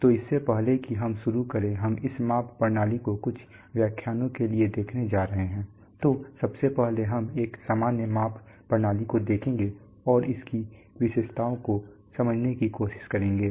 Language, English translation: Hindi, So before we are going to do, we are going to look at this measurement system for a few lectures you come, so before we do that let us first look at a general measurement systems and try to understand its characteristics, so that is precisely what we are going to do today